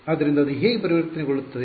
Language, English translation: Kannada, So, that can get converted how